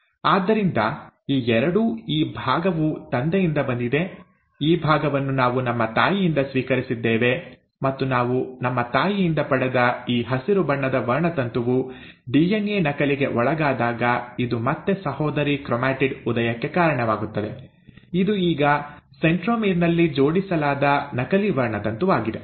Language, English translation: Kannada, So both this one, right, this part, is from the father, while this part we had received from our mother, and when this green coloured chromosome which we had received from our mother underwent DNA duplication, it again gave rise to sister chromatid which is now the duplicated chromosome attached at the centromere